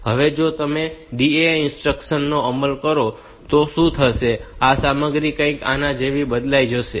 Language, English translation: Gujarati, Now, if you execute the instruction DAA, what will happen, this content will be changed to something like this